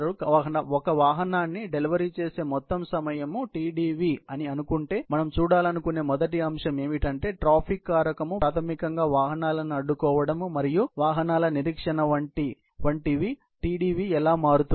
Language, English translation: Telugu, So, if supposing Tdv is the total time of delivery of a single vehicle, the first aspect that we want to look at is that how the Tdv will change if the traffic factor, which is basically, blocking of vehicles and waiting of vehicles is involved, would change